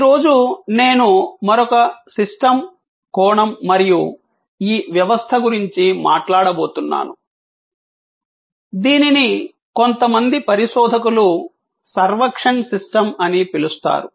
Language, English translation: Telugu, Today, I am going to talk about another systems aspect and this system, some researchers have called servuction system